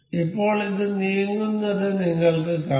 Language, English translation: Malayalam, And now you can see this moving